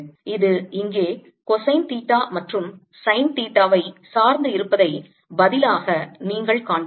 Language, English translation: Tamil, you see, this has the same dependence on cosine theta and sine theta as the answer here